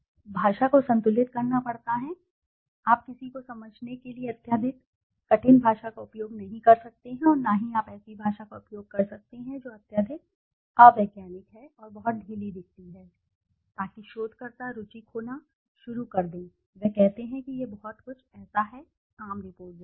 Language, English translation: Hindi, Balanced, language has to be balanced, you cannot use a highly extremely difficult language for somebody to understand nor you can use a language which is highly unscientific and looks very loose so that the researcher starts losing interest, he says this is something like a very common report